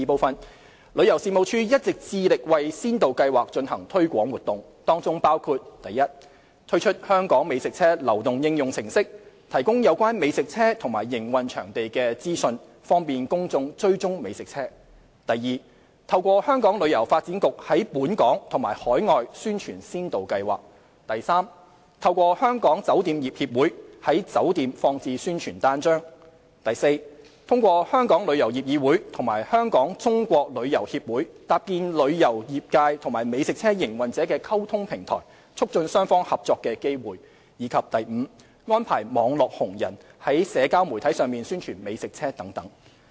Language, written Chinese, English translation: Cantonese, 二旅遊事務署一直致力為先導計劃進行推廣活動，當中包括： 1推出"香港美食車"流動應用程式，提供有關美食車及營運場地資訊，方便公眾追蹤美食車； 2透過香港旅遊發展局在本港及海外宣傳先導計劃； 3透過香港酒店業協會，在酒店放置宣傳單張； 4通過香港旅遊業議會及香港中國旅遊協會搭建旅遊業界和美食車營運者的溝通平台，促進雙方合作的機會；及5安排"網絡紅人"在社交媒體上宣傳美食車等。, 2 TC always endeavours to carry out promotional activities for the Pilot Scheme which includes i launching the mobile application HK Food Truck which provides information on food trucks and operating locations and facilitates the public to trace the food trucks; ii promoting the Pilot Scheme to local and overseas visitors through HKTB; iii distributing promotional flyers at hotels through Hong Kong Hotels Association; iv establishing communication platform between travel industry and food truck operators to facilitate their collaboration through Travel Industry Council of Hong Kong and Hong Kong Association of China Travel Organisers Limited; and v arranging publicity of food trucks through postings by key opinion leaders on social media platforms etc